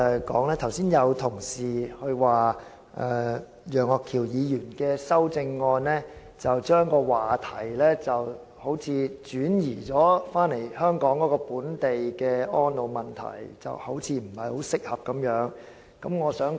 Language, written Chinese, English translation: Cantonese, 剛才有同事指稱，楊岳橋議員的修正案將話題轉移至本港的安老問題，似乎不太適當。, Just now a Member asserted that Mr Alvin YEUNGs amendment shifted the theme to elderly care problems in Hong Kong saying that this did not seem to be alright